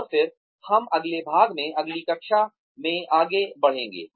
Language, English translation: Hindi, And then, we will move on to the next part, in the next class